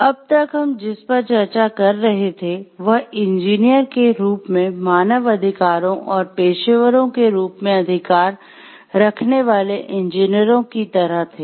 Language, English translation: Hindi, So, till now what we were discussing, were like engineers rights as human beings and engineers who rights as professionals